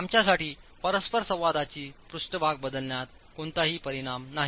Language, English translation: Marathi, There is no effect in changing the interaction surface for us